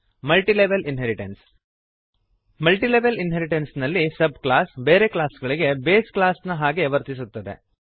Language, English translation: Kannada, Multilevel inheritance In Multilevel inheritance the subclass acts as the base class for other classes